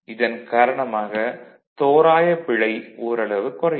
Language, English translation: Tamil, So, approximation error will be less